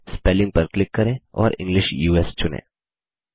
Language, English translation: Hindi, Click Spelling and select English US